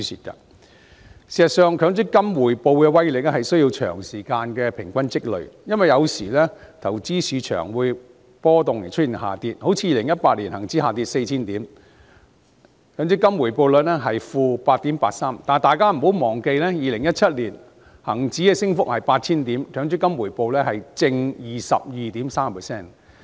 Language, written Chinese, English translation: Cantonese, 事實上，強積金回報的威力是需要長時間平均積累，因為有時投資市場出現波動以致下跌，例如2018年恒生指數下跌 4,000 點，強積金回報率是 -8.83%； 但大家不要忘記 ，2017 年恒指升幅達 8,000 點，而強積金回報是 +22.3%。, In fact the power of MPF returns would require a long time to accumulate on average because sometimes it may fall as the investment market fluctuates . For example the Hang Seng Index HSI dropped 4 000 points in 2018 and the rate of return for MPF was - 8.83 % . But do not forget that HSI surged by 8 000 points in 2017 and the rate of return for MPF was 22.3 %